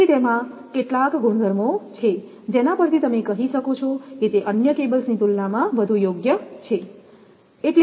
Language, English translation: Gujarati, So, it has some properties that your what you call which it can be preferable to compared to other cables